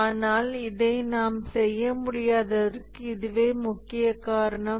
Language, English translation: Tamil, But this is the main reason why we can't do that